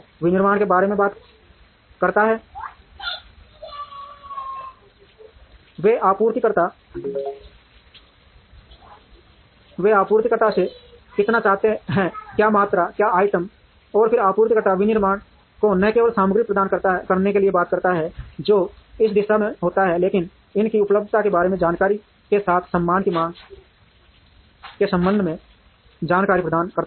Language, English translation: Hindi, Manufacturing talks about how much they want from the suppliers, what quantities, what items, and then the supplier talks to manufacturing by not only providing the material, which happens in this direction, but also providing information on the availability of these with the respect to the demands of the manufacturing